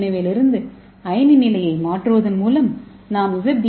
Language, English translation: Tamil, So by simply changing the ionic condition from B DNA we can make the Z DNA